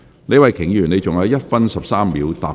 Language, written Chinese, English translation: Cantonese, 李慧琼議員，你還有1分13秒答辯。, Ms Starry LEE you have 1 minute 13 seconds to reply